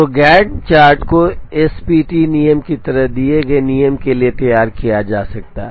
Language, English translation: Hindi, So, the Gantt chart can be drawn for a given rule like the SPT rule